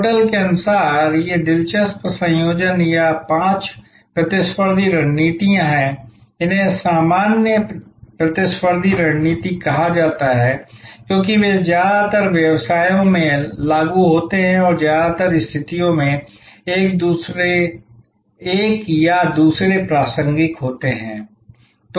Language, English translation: Hindi, According to Porter, there are these interesting combinations or five competitive strategies, these are called the generic competitive strategies, because they are applicable in most businesses and in most situations, one or the other will be relevant